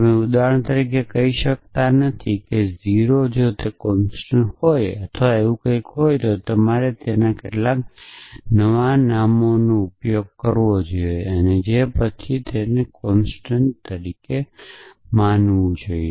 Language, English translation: Gujarati, So, you cannot say a for example, 0 if it is a constant or something like that you must use some unnamed some new name and treated as a constant after that